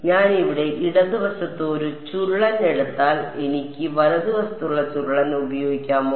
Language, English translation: Malayalam, If I take a curl over here on the left hand side can I get use the curl on the right hand side